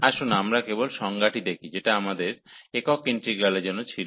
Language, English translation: Bengali, Let us just recall the definition, what we had for the single integrals